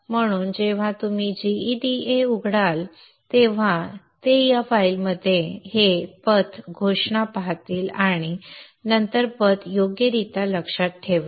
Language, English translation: Marathi, So when GEDA opens up, it will look into this file, see this path declaration and then appropriately remember the path